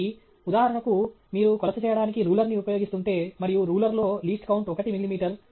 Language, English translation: Telugu, So, for example, if you are using a ruler to make a measurement and in the ruler the least count is 1 millimeter